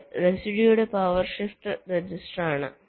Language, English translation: Malayalam, very specific, this is a reduced power shift register